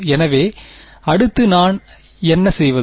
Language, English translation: Tamil, So, what do I do next